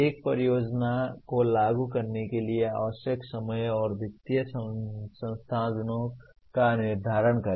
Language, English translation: Hindi, Determine the time and financial resources required to implement a project